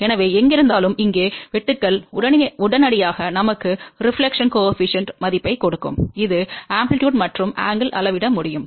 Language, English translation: Tamil, So, wherever it cuts here that will straightway give us the reflection coefficient value which is the amplitude and the angle can be measured